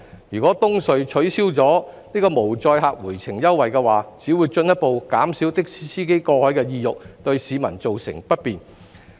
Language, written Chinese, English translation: Cantonese, 如果東隧取消無載客回程優惠，只會進一步減少的士司機過海的意欲，對市民造成不便。, If EHCs concessionary toll for empty taxis is cancelled this will only further discourage taxi drivers from crossing the harbour thus causing inconvenience to the public